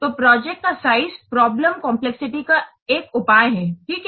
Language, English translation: Hindi, So, project size is a measure of the problem complexity